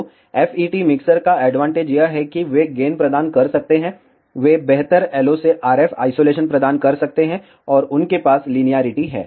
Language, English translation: Hindi, So, the advantage of FET ah mixers is that, they can provide gain, they can provide better LO to RF isolation, and they have better linearity